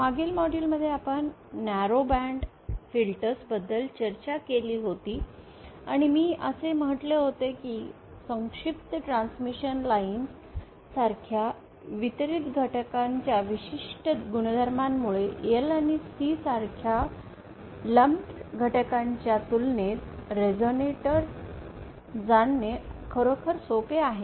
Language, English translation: Marathi, In the previous modules we had discussed about narrow ban filters and I have said that because of the special properties of the distributed elements like shortened transmission lines it is actually easier to realize resonator as compared to lumps equivalence or equivalence of lumped elements like l and c